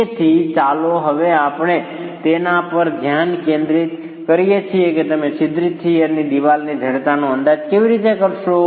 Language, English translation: Gujarati, So, let's now focus on how do you go about estimating the stiffness of a perforated shear wall